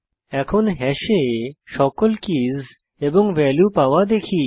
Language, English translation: Bengali, Now, let us see how to get all keys and values of hash